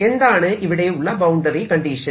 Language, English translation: Malayalam, what is the boundary condition here